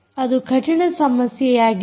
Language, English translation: Kannada, ok, its a hard problem